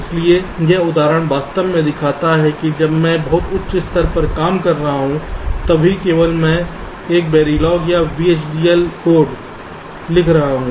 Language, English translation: Hindi, so this example actually shows that even when i am working at a much higher level, i am writing a very log or v, h, d, l code